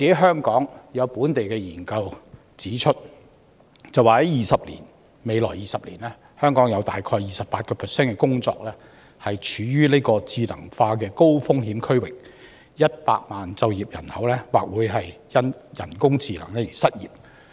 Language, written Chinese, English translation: Cantonese, 香港的本地研究則指出，在未來20年，香港有 28% 的工作處於智能化高風險區域 ，100 萬就業人口或會因人工智能而失業。, A local research in Hong Kong finds that in the coming 20 years 28 % of the jobs in Hong Kong are at high risk of being replaced by AI and 1 million working population may become unemployed because of AI